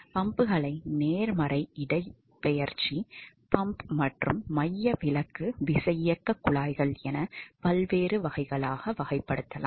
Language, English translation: Tamil, So, there is, the pumps can be classified into different categories positive displacement pump as well as centrifugal pumps ok